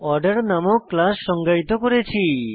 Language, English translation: Bengali, I have defined a class named Order in this example